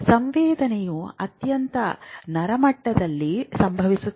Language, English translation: Kannada, Sensations happen at the very, very neural level